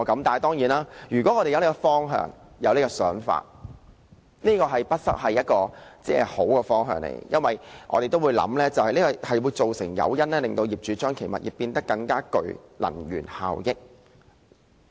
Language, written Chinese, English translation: Cantonese, 當然，如果我們有這種想法，也不失為一個好的方向，因為這個提供誘因，令業主使其物業變得更具能源效益。, Of course if we have the idea it will be a good direction because that will provide an incentive for property owners to improve the energy efficiency performances of their properties